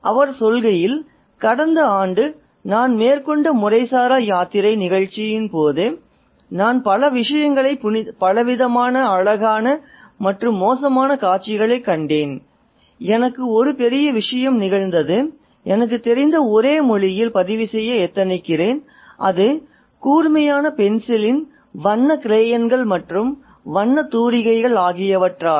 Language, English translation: Tamil, He says, during the informal pilgrimage of the ancient cities of India, which I made last year, I came across many things, multifarious, beautiful and squalid scenes, and a great deal happened to me, which I hope to record in the only language I know, the language of the sharp pinned pencil, the colored crayons and the paint brush